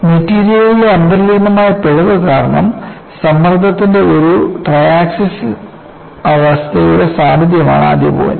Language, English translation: Malayalam, So, the firstpoint is presence of a triaxial state of stress due to inherent flaw in the material